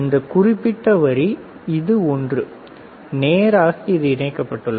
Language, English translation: Tamil, This particular line, this one, straight this is connected this is connected